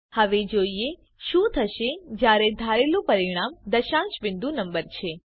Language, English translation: Gujarati, Now let us see what happens when the expected result is a decimal point number